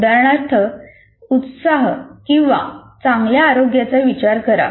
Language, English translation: Marathi, For example, enthusiasm or better health